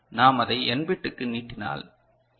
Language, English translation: Tamil, Now, we can extend it for n bit right